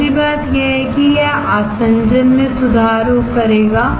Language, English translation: Hindi, Second thing is that it will improve the adhesion